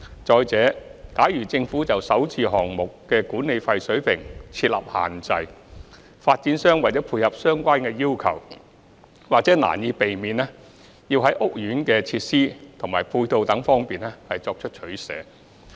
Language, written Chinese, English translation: Cantonese, 再者，假如政府就首置項目的管理費水平設立限制，發展商為了配合相關要求，或難以避免要在屋苑的設施及配套等方面作取捨。, Moreover if the Government sets restrictions on the management fee level for SH projects in order to comply with relevant requirements developers may unavoidably need to make trade - offs on areas such as facilities and ancillary infrastructures of the housing estates